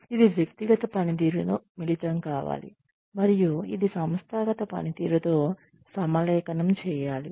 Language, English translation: Telugu, Which in turn, needs to be combined with, individual performance, which should be aligned with organizational performance